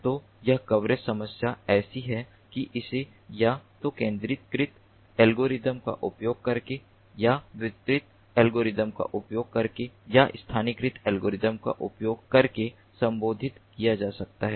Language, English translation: Hindi, so this coverage problem is such that it can be addressed either using centralized algorithms or using distributed algorithms, or using localized algorithms